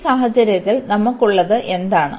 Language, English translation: Malayalam, So, in this case what do we have